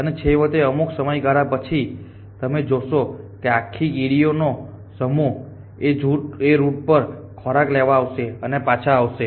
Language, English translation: Gujarati, And eventually after period of time you will find that this entered ant colony is sub tour travelling food and back essentially